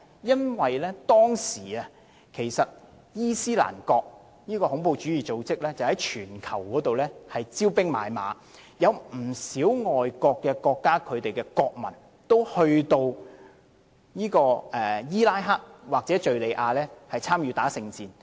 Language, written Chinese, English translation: Cantonese, 因為當時恐怖主義組織伊斯蘭國在全球招兵買馬，不少外國國家的國民也前往伊拉克或敘利亞參與聖戰。, The reason was that at the time the terrorist organization ISIS was recruiting members globally and some nationals of foreign states went to Iraq and Syria to join Jihad